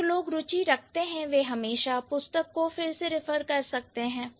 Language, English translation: Hindi, Those who are interested, you can always refer to the book